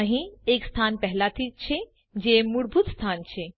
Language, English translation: Gujarati, There is already a location which is the default location